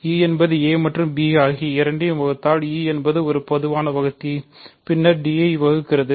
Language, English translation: Tamil, So, e divides a and b implies e is a common divisor then e divides d